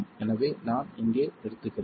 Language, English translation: Tamil, So, I'll stop here